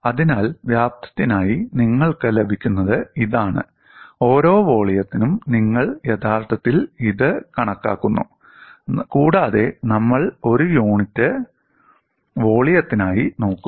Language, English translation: Malayalam, So, this is all you get for volume, per volume you are actually calculating it, and also we will look at for a unit volume